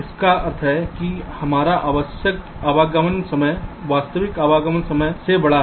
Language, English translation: Hindi, it means our required arrival time is larger than the actual arrival time